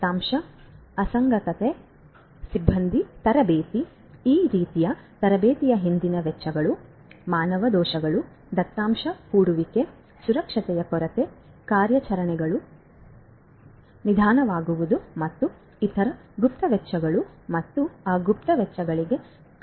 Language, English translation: Kannada, Problem such as data inconsistency, staff training, the expenses behind this kind of training, human errors, data scattering, lapse in security, slowing of operations and other hidden costs and incurring those hidden costs